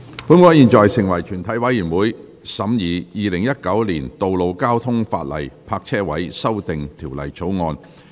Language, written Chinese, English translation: Cantonese, 本會現在成為全體委員會，審議《2019年道路交通法例條例草案》。, This Council now becomes committee of the whole Council to consider the Road Traffic Legislation Amendment Bill 2019